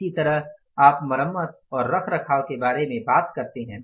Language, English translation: Hindi, Similarly you talk about the repair and maintenance